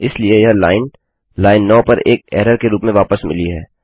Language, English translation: Hindi, Therefore, the line has been returned as an error on line 9